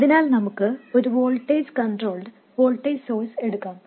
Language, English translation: Malayalam, So let's take a voltage control voltage source